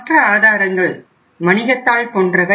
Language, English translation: Tamil, The other sources are like commercial paper right